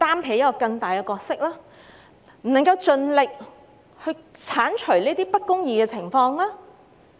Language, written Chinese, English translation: Cantonese, 為何政府不能夠盡力剷除不公義的情況？, Yet why cant the Government assume a bigger role in eliminating injustice?